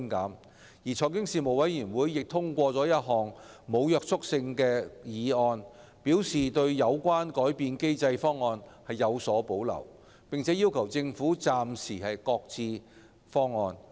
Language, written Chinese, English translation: Cantonese, 就此，財經事務委員會通過一項無約束力的議案，對有關改變機制的方案表示有所保留，並要求政府暫時擱置。, In this connection the Panel passed a motion to express reservation over the option for modifying the mechanism and requested the Government to shelve it for the time being